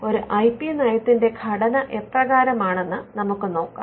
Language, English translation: Malayalam, Now, let us look at the structure of an IP policy